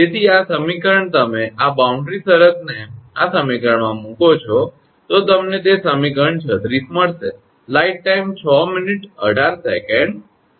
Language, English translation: Gujarati, Therefore, this equation you put this boundary condition in this equation then you will get it is equation 36